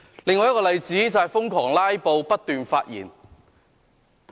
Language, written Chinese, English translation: Cantonese, 另一個例子，是瘋狂"拉布"，不斷發言。, Another example is senseless filibusters and incessant delivery of speeches